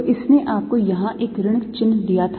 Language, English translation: Hindi, so this gave you a minus sign here